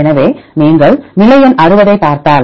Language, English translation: Tamil, So, if you look into the position number 60